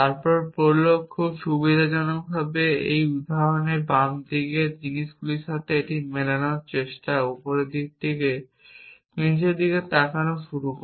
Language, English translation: Bengali, Then prolog starts looking from top to down trying to match this with the things on the left hand side in this example very conveniently